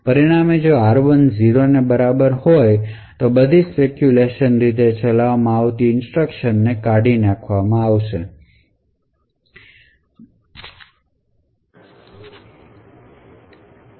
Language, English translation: Gujarati, So, as a result if r1 is equal to 0 all the speculatively executed instructions would need to be discarded